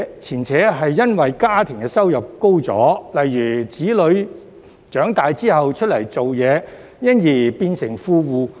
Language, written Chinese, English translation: Cantonese, 前者是因為家庭收入增加，例如子女長大後出來工作，因而變成富戶。, The former is the result of the increase in household income due to for example children who have grown up and started working thus turning the tenants into well - off tenants